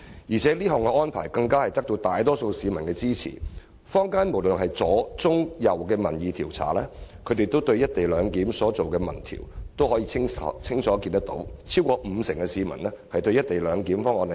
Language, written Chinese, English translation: Cantonese, 而且，這項安排得到大多數市民支持，坊間無論是左、中、右機構就"一地兩檢"進行的民意調查均清楚顯示，超過五成市民支持"一地兩檢"方案。, Moreover such an arrangement has the backing of the majority public over 50 % of the people support the co - location proposal as opinion polls on co - location―conducted by both leftist centrist and rightist organizations in the community―clearly showed